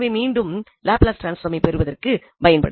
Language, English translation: Tamil, And now we will focus on Laplace transform again